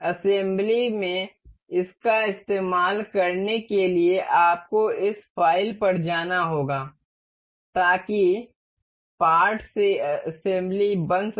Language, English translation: Hindi, To use this in assembly you have to go to this file go to make assembly from part